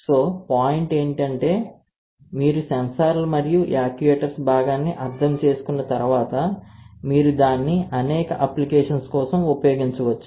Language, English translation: Telugu, So, the point is once you understand the sensors and actuators part you can use it for several applications